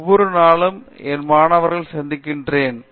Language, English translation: Tamil, So, I see to it I meet my students every day